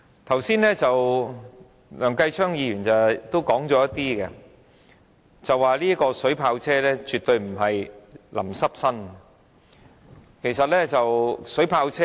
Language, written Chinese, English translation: Cantonese, 正如梁繼昌議員剛才所說，水炮車絕對不是將人的身體淋濕而已。, Just as Mr Kenneth LEUNG has said water cannon vehicles definitely are not merely body - drenching